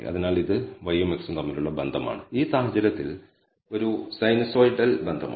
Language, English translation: Malayalam, So, this is a relationship between y and x in this case is a sinusoidal relationship